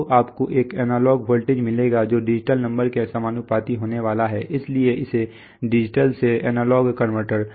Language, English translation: Hindi, So you will get a analog voltage which is going to be proportional to the digital number that is why it is called a digital to analog converter so in our